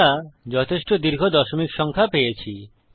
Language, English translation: Bengali, Okay, we have got a quiet long decimal number